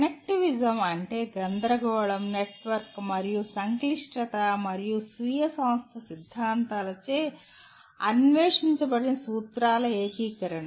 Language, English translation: Telugu, Connectivism is the integration of principles explored by chaos, network and complexity and self organization theories